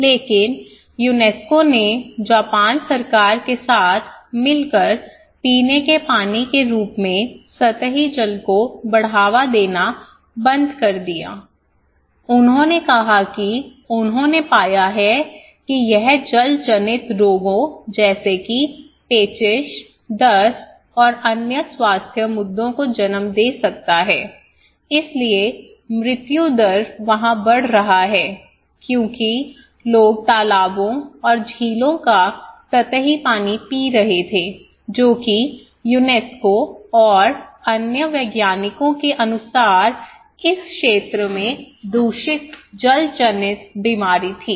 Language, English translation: Hindi, But UNESCO along with the in collaboration with the Japan government, they started to stop not promoting surface waters as a drinking water, they said that they found that it could lead to waterborne diseases like dysentery and diarrhoea and other health issues so, mortality rate was increasing there because people were drinking surface water from ponds and lakes which according to UNESCO and other scientists was contaminated waterborne disease was enormous in this area